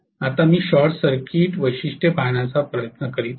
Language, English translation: Marathi, Now I am trying to now look at the short circuit characteristics